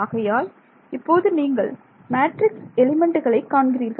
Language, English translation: Tamil, So, far we did not talk at all about how we will calculate matrix elements right